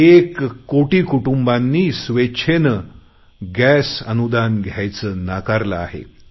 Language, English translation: Marathi, One crore families have voluntarily given up their subsidy on gas cylinders